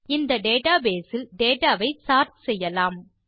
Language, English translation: Tamil, Now lets sort the data in this database